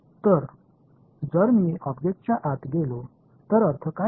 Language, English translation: Marathi, So, if I go inside the object what is the interpretation